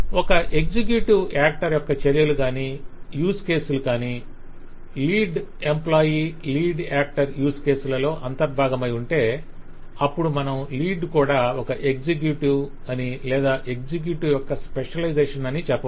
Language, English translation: Telugu, and if we find that the use cases or actions for an actor, say an executive, is completely covered by the use cases that lead employee, the lead actor, has to perform, then he can say that lead is an executive or lead is a specialization of the executive